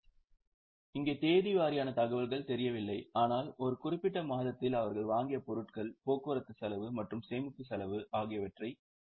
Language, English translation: Tamil, So, here, date wise information is not known but during a particular month they know the goods purchased, transport cost and storage cost